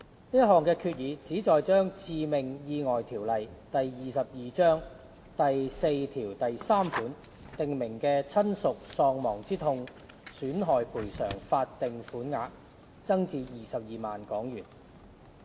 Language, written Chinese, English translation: Cantonese, 這項決議旨在把《致命意外條例》第43條訂明的親屬喪亡之痛損害賠償法定款額增至22萬元。, The purpose of this resolution is to increase the statutory sum of damages for bereavement under section 43 of the Fatal Accidents Ordinance Cap . 22 to 220,000